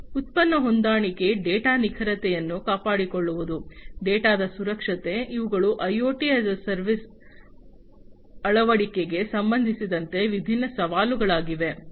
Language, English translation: Kannada, Product compatibility, maintaining data accuracy, security of data, you know, these are different challenges with respect to the adoption of IoT as a service